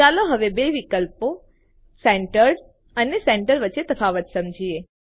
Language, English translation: Gujarati, Let us now understand the difference between the two options Centered and Centre